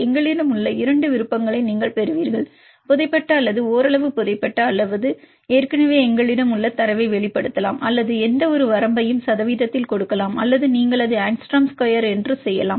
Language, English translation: Tamil, Then accessibility, you get two options we have one is we can get from the buried or partially buried or exposed the data we have already or we can give any range in percentage or you can also do it for the Angstrom square